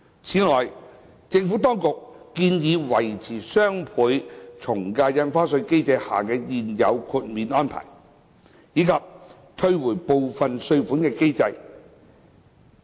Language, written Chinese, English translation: Cantonese, 此外，政府當局建議維持雙倍從價印花稅機制下的現有豁免安排，以及退回部分稅款的機制。, In addition the Administration proposes to maintain the prevailing exemption arrangements under the DSD regime and the NRSD measure maintains the refund mechanism provided for under the DSD regime